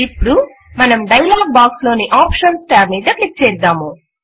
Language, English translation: Telugu, Now let us click on the Options tab in the dialog box